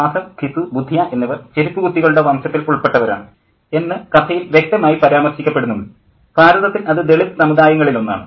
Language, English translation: Malayalam, It is explicitly mentioned in the story that Mahath, Gizu and Budya are chamas, that is one among the Dalit communities in India